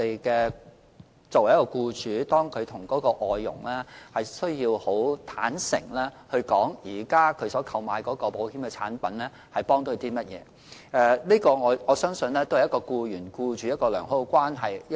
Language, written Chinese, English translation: Cantonese, 僱主亦須坦誠地向外傭解釋，所投購的保險產品對她有何幫助，我相信這是僱員與僱主建立良好關係的一種方法。, Employers should also explain to their FDHs in a forthright manner what kind of coverage is provided by the insurance products taken out . I believe this is a way to build a good relationship between the employee and the employer